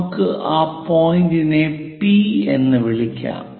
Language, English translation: Malayalam, Let us call this point J, this point K